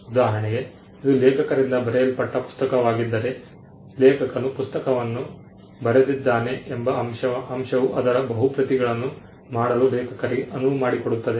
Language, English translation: Kannada, For instance, if it is a book written by an author the fact that the author wrote the book allows the author to make multiple copies of it